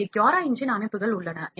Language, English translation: Tamil, we have this CuraEngine settings here